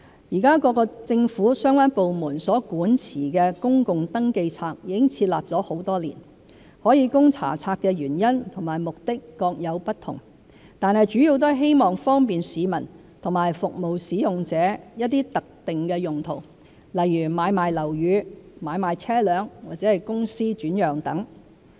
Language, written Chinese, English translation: Cantonese, 現時，各政府相關部門所管持的公共登記冊已設立多年，可供查冊的原因和目的各有不同，但主要都是希望方便市民和服務使用者作一些特定用途，如買賣樓宇、買賣車輛或公司轉讓等。, At present public registers maintained by the relevant government departments have been established for years . While the reasons and purposes of allowing access to such registers may vary they are mainly aimed at assisting the public and service users in conducting searches for specific purposes such as the sale and purchase of properties vehicles and companies